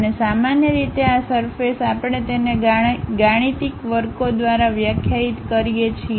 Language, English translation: Gujarati, And, usually these surfaces we define it by mathematical functions